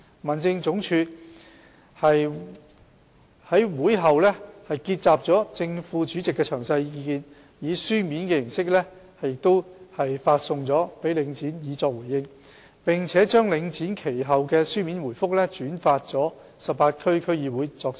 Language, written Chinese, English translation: Cantonese, 民政總署於會後結集了正副主席的詳細意見，以書面形式發送給領展以作回應，並把領展其後的書面回覆轉發給18區區議會作參考。, After the meeting HAD consolidated the details of the views expressed by the Chairmen and Vice Chairmen and addressed them in writing to Link REIT for a response and the subsequent written responses given by Link REIT have been conveyed to the 18 DCs for reference